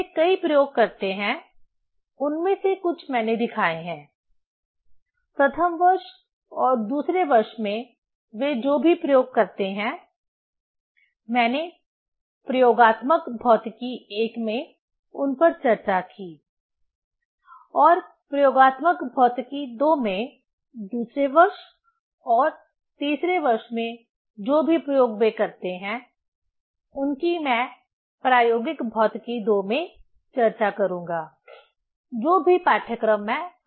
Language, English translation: Hindi, They perform many experiments, some of them I have shown, in first year and second year whatever the experiments they perform, that I discussed in experimental physics I and in experimental physics II, in second year and third year whatever the experiments they perform that I will discuss in experimental physics II, whatever the course I am taking now